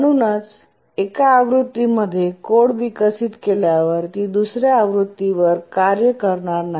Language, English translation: Marathi, So you develop code on one version, it don't work on another version